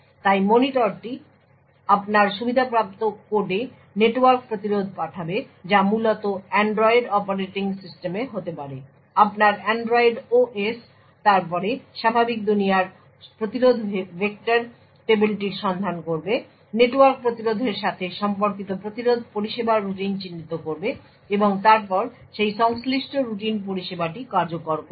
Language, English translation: Bengali, So therefore the monitor would channel the network interrupt to your privileged code which essentially could be at Android operating system your Android OS would then look up the normal world interrupt vector table identify the interrupt service routine corresponding to the network interrupt and then execute that corresponding service routine